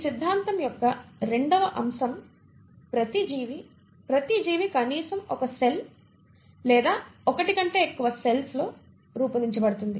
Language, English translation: Telugu, Also the second point of this theory is each organism, each living organism is made up of at least one cell or more than one cell